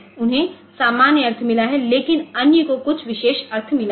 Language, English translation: Hindi, So, they have got the normal meaning, but others they have got some special meanings